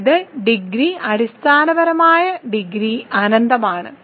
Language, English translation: Malayalam, That means, the degrees is in basis the dimension is infinite